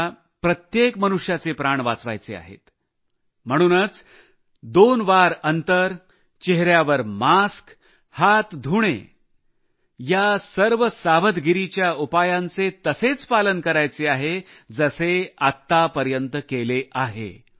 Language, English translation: Marathi, We have to save the life of every human being, therefore, distancing of two yards, face masks and washing of hands are all those precautions that are to be meticulously followed in the same manner as we have been observing them so far